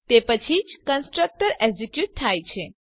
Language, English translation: Gujarati, Only after that the constructor is executed